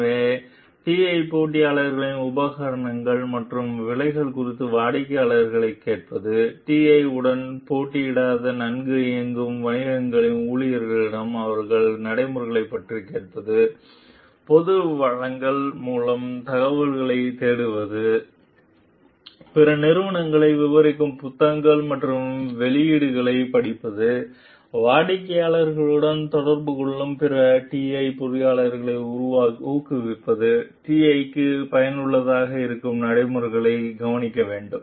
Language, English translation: Tamil, So, asking customers about the equipment and prices of TI competitors, asking employees of well run businesses that would not compete with TI about their practices, searching for information through public resources, reading books and publications describing other companies, encouraging other TI engineers who come in contact with the customers to be observant of practices that might be useful of useful to TI